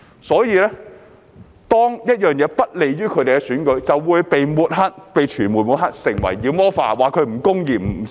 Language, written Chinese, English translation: Cantonese, 因此，當一件事不利於他們的選舉，便會被傳媒抹黑、被妖魔化，被指為不公義等。, As such any issue that is unfavourable to them in election will be smeared demonized and criticized as unjust by the media